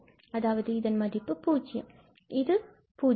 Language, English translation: Tamil, So, it will converge to 0